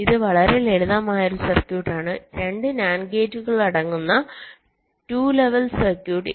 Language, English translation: Malayalam, this is a very simple circuit, a two level circuit consisting of two nand gates